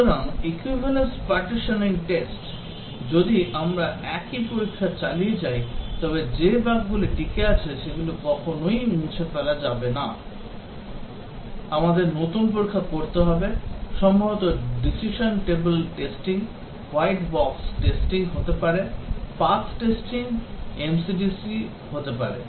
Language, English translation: Bengali, So, the equivalence partitioning test, if we keep on applying the same test the bugs that have survived will never get eliminated, we have to apply new tests, maybe decision table testing, may be white box testing, path testing may be MCDC testing